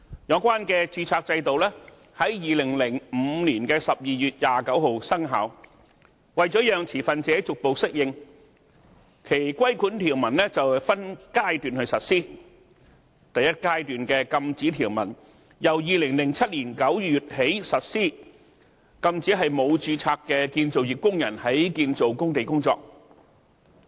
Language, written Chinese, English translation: Cantonese, 有關註冊制度在2005年12月29日生效，為了讓持份者逐步適應，其規管條文分階段實施，第一階段的禁止條文由2007年9月起實施，禁止沒有註冊的建造業工人在建造工地工作。, The registration system came into effect on 29 December 2005 . In order to allow stakeholders to effect adaptation gradually its regulatory provisions are implemented in phases . In September 2007 the first phase of the prohibitions was implemented which prohibits construction workers from carrying out construction work on construction sites without proper registration